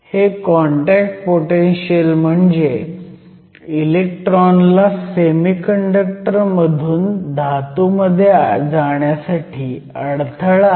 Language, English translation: Marathi, So, this contact potential represents the barrier for the electrons to move from the semiconductor to the metal